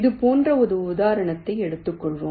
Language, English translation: Tamil, so we consider this example here